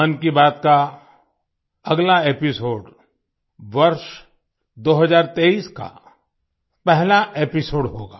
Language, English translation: Hindi, The next episode of 'Mann Ki Baat' will be the first episode of the year 2023